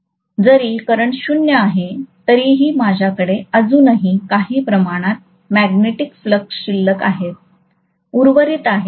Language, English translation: Marathi, Even when the current is 0, I will still have some amount of magnetic flux left over, that is remaining